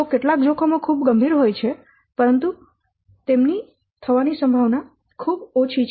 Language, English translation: Gujarati, So some kinds of risks are there they are very serious but the very unlikely they will occur the chance of occurring them is very less